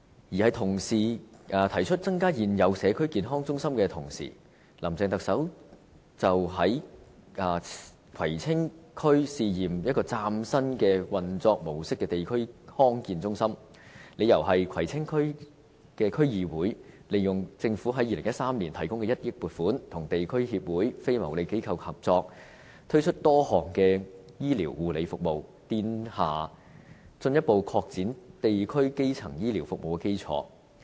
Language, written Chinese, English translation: Cantonese, 當同事提議增加現有社區健康中心的同時，林鄭特首表示將會在葵青區試驗運作一間嶄新模式的地區康健中心，理由是葵青區議會利用政府於2013年提供的1億元撥款，跟地區協會、非牟利機構合作，推出多項醫療護理服務，奠下進一步擴展地區基層醫療服務的基礎。, While our colleagues proposed that the Government should build more community health centres the Chief Executive Carrie LAM said the Government would set up a district health centre with a brand new operation mode in Kwai Tsing District . She explained that the Kwai Tsing District Council made use of the 100 million subsidy provided by the Government in 2013 for district - based signature projects to fund a number of health care services in collaboration with local associations and non - profit - making organizations and a solid foundation for the further extension of district - based primary health care services was built